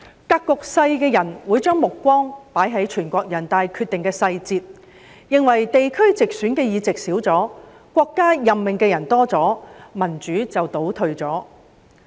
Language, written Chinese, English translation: Cantonese, 格局小的人會將目光放在全國人民代表大會有關決定的細節，認為地區直選議席減少了，國家任命的人增加了，民主便倒退了。, Those who are narrow - minded will focus on the details of the relevant decision of the National Peoples Congress NPC thinking that the reduction in the number of seats returned by geographical constituencies through direct elections and the increase in the number of seats appointed by the country is a regression in democracy